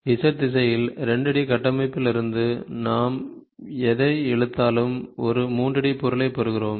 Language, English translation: Tamil, So, this one along the Z direction, whatever you pull, from the 2 D structure we get a 3 D object